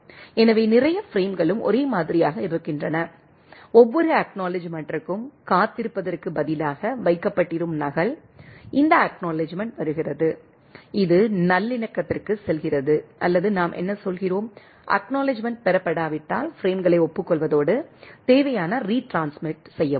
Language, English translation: Tamil, So, which bunch of frames are same in and the copy of kept instead of waiting that every acknowledgement, this the acknowledgement is coming it is goes on reconciliation or what we say that, goes on acknowledging the frames are if the acknowledgement not received and send retransmission required so and so forth